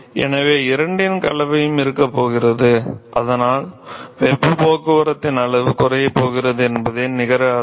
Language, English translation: Tamil, So, there is going to be a mixture of both and so, the net effect is that the extent of heat transport is going to reduce